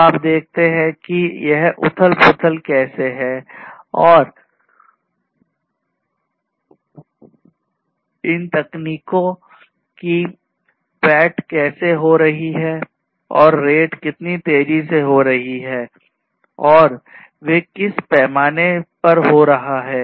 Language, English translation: Hindi, So, you see that how this disruption and penetration of these technologies are happening and how fast they are happening and in what scale they are happening right